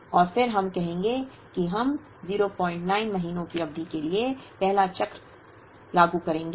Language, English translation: Hindi, And then we will say that we will implement the first cycle for a period of 0